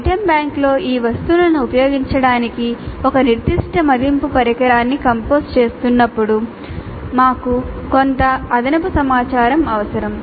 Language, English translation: Telugu, And in order to make use of these items in the item bank while composing in a specific assessment instrument we need some additional information